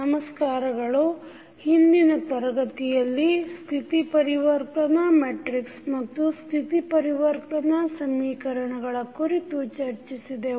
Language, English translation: Kannada, Namaskar, so in last class we discussed about the state transition matrix and the state transition equations